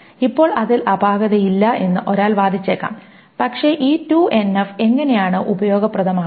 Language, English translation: Malayalam, Now one may argue that that is fine, but how is this 2NF useful